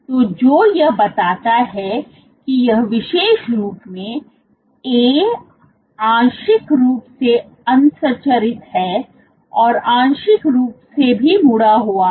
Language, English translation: Hindi, So, what this suggests is this particular A is partly unstructured plus partly folded